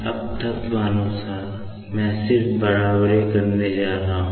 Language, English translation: Hindi, Now, element wise, I am just going to equate, ok